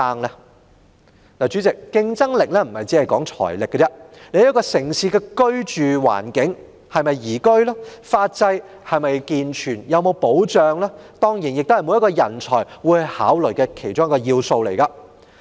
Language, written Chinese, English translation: Cantonese, 代理主席，競爭力不只看財力，一個城市的居住環境是否舒適、法制是否健全、具保障，也是每位人才會考慮的因素。, Deputy Chairman competitiveness hinges not only on financial strength . A cosy living environment a sound legal system and protection in a city are also factors of consideration of every qualified talent